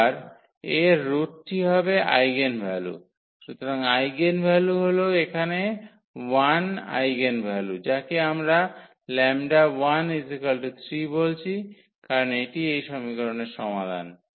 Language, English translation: Bengali, And its root that will be the eigenvalue; so, eigen values are the 1 eigenvalue here which we are calling lambda 1 that is 3 because, this is the solution of this equation